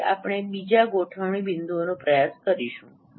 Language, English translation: Gujarati, So we will try another set of points